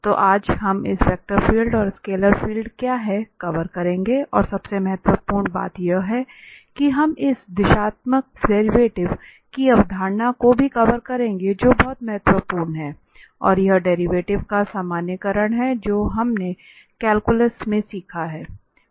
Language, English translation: Hindi, So, today we will cover that what are the vector fields and what are these scalar fields and most importantly we will also cover the concept of this directional derivatives which is very important and it is the generalization of the derivative what we have learned in calculus